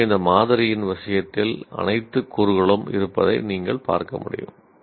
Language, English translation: Tamil, So, as you can see, all the elements are present in the case of this sample